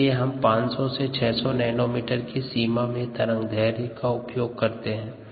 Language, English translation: Hindi, that's a reason why we used about six hundred nanometres